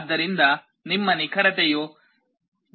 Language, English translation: Kannada, So, your accuracy will be higher, 0